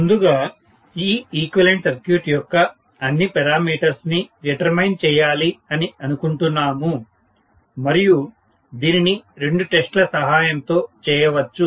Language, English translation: Telugu, We wanted to first of all determine all the parameters of this equivalent circuit which actually can be done by two tests